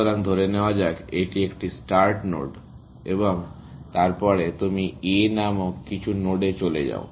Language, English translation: Bengali, So, let us say, this is a start node and then, you go to some node called A